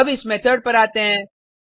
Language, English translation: Hindi, Let us come to this method